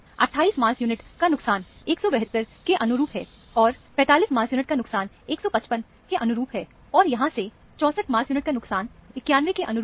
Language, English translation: Hindi, Loss of 28 mass unit corresponds to 172, and loss of 45 mass unit corresponds to 155; and from here, loss of 64 mass unit corresponds to 91